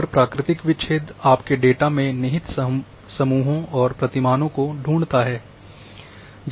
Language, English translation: Hindi, And natural break finds groupings and pattern inherent in your data